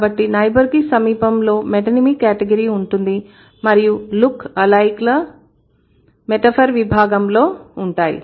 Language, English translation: Telugu, So, near neighbor would be in metonymy category and lookalikes are going to be in the metaphor category